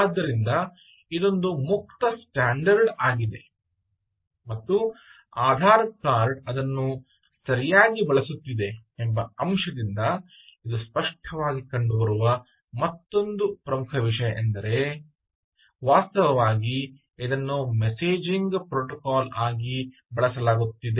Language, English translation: Kannada, so that is the another important thing: ah, which is quite obvious from the fact that ah the standard is open and also the fact that aadhar card was actually using it right, is actually using this as a messaging protocol